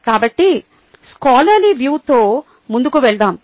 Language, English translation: Telugu, so lets move forward with a scholarly view